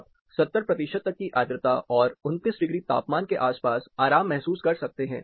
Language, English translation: Hindi, You can be comfortable up to 70 percent humidity and around 29 degrees temperature